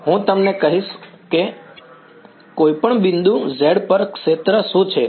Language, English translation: Gujarati, I will tell you what is the field at any point z